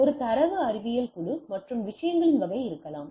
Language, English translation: Tamil, So, there may be a data science group and type of things right